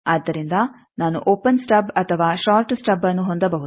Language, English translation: Kannada, So, I can have an open stub or I can have a short stub